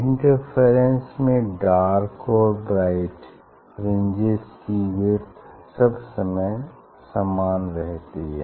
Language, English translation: Hindi, for interference fringe the width of b fringe and dark fringe is all the time same